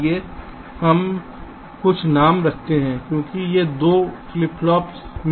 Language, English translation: Hindi, lets see, lets keep some names, because these two flip flops are in question